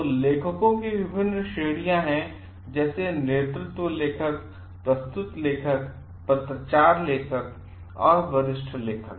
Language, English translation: Hindi, So, there are different categories of authors like; lead author, submitting author, corresponding author and senior author